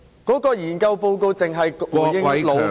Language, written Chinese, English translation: Cantonese, 該研究報告只回應勞方......, The study report only responds to the labour side